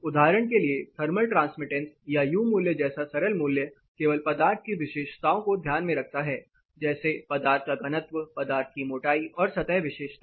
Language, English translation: Hindi, For example, a value like simple value like thermal transmittance or U value it only takes into consideration the material property it takes the density of the material, it takes the thickness of material and the surface property